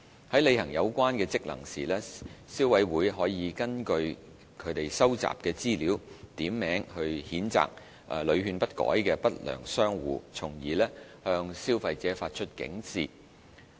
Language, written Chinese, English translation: Cantonese, 在履行有關職能時，消委會可根據其收集的資料，點名譴責屢勸不改的不良商戶，從而向消費者發出警示。, In exercising such functions CC can use the information collected to name unscrupulous traders who are not amenable to repeated advice and thereby alerting consumers